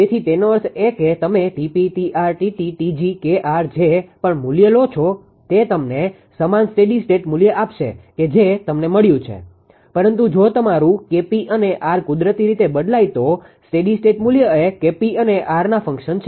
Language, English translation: Gujarati, It so; that means, whatever whatever value you take Tp Kr Tr Tt Tg ultimately it will give you the same statistic value whatever you got, but if you are K p and are changes naturally the steady state value our function of K p and R